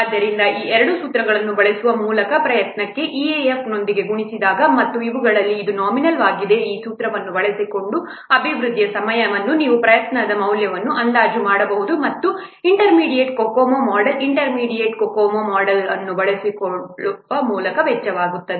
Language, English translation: Kannada, 32 so by using these two formulas one for report which is multiplied with e one for this, what, nominal development time, by using this formulas, you can estimate the value of the EFOTR cost by using this intermediate COCO model